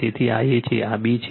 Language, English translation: Gujarati, So, this is A, this is B